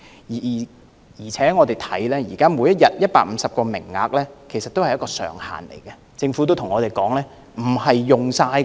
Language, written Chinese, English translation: Cantonese, 再者，現時每天150個名額是上限，政府也說道不會盡用的。, Besides the existing daily quota of 150 is the limit and the Government has also said that the quota will not be fully utilized